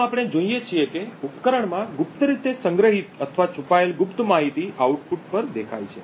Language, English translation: Gujarati, Thus, we see that the secret data stored secretly or concealed in the device is visible at the output